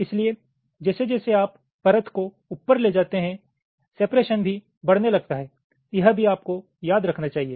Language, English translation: Hindi, so as you move up the layer the separation also starts to increase